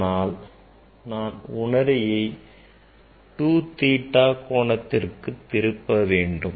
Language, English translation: Tamil, Now, if I rotate the mirror by angle theta